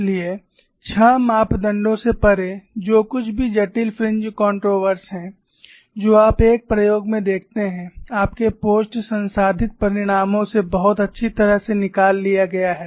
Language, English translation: Hindi, So, beyond six parameters whatever the complicated fringe contours which you observe in an experiment is very nicely captured from your post process results